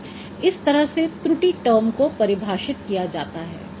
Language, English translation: Hindi, So that is how the error term is defined